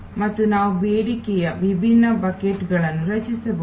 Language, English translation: Kannada, And what we can create different buckets of demand